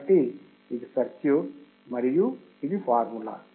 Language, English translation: Telugu, So, this is the circuit and this is the formula